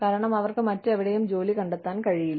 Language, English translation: Malayalam, Because, they are not able to find a job, anywhere else